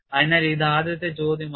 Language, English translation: Malayalam, So, this is the first question